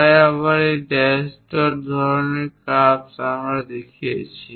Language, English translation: Bengali, So, again dash dot kind of curve we have shown